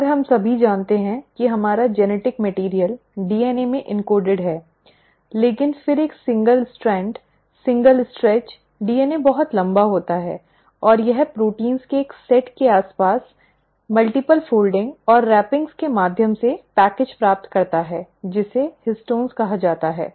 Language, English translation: Hindi, And we all know that our genetic material is encoded in DNA, but then a single strand, a single stretch DNA is way too long and it kind of gets package through multiple folding and wrappings around a set of proteins called as histones